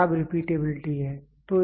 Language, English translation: Hindi, This is poor repeatability